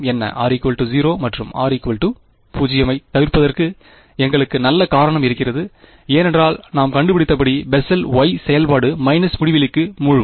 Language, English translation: Tamil, r is equal to 0 right and we have good reason to avoid r is equal to 0 because as we found out, let the y the Bessel y function it plunges to minus infinity